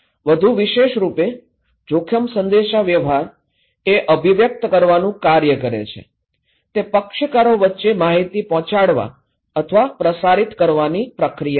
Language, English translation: Gujarati, More specifically, risk communication is the act of conveying, is an act of conveying or transmitting information between parties